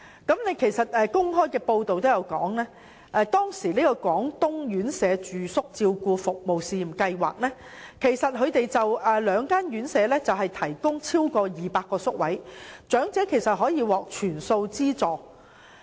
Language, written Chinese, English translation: Cantonese, 當時的公開報道亦指出，廣東院舍住宿照顧服務試驗計劃下的兩間院舍共提供超過200個宿位，長者可獲全數資助。, According to some public reports back then a total of over 200 fully subsidized places would be provided in two residential care homes for the elderly under the Pilot Residential Care Services Scheme in Guangdong